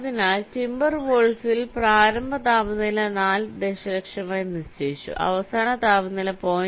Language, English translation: Malayalam, so in timber wolf the initial temperature was set to four million, final temperature was point one